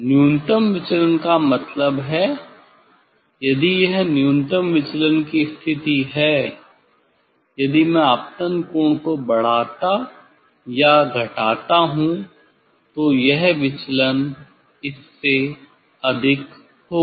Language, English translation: Hindi, minimum deviation means if this is the position for minimum deviation; if I increase or decrease the incident angle, then this deviation will be higher than this one